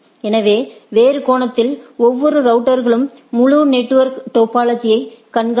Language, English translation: Tamil, So, in other sense the every router keep track of the topology of the whole network right